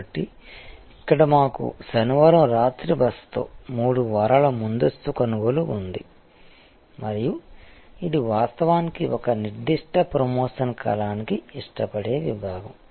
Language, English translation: Telugu, So, here we have three weeks advance purchase with Saturday night stay over and this is actually a preferred segment for a particular promotion period